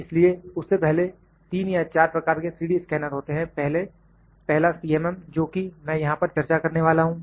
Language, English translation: Hindi, So, before that there are 3 or 4 types of 3D scanners, number 1 that I am going to discuss here is C